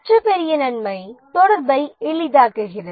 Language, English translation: Tamil, The other big advantage is ease of communication